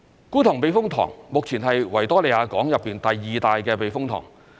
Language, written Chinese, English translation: Cantonese, 觀塘避風塘目前是維多利亞港內第二大的避風塘。, The Kwun Tong Typhoon Shelter is currently the second largest typhoon shelter in the Victoria Harbour